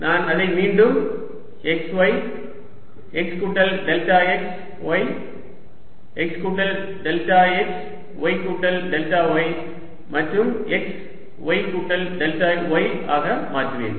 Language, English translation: Tamil, i'll again make it x, y, x plus delta x, y, x plus delta x, y plus y plus delta y and x, y plus delta y